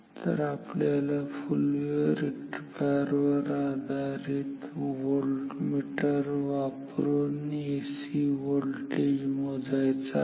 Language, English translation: Marathi, So, we want to measure an AC voltmeter AC voltage using a full wave rectifier